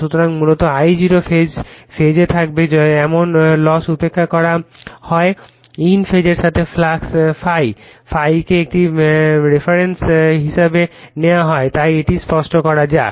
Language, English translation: Bengali, So, basically your I0 will be in phase now loss is neglected with the your in phase with your what you call is the flux ∅, ∅ is the taken as a reference right therefore, let me clear it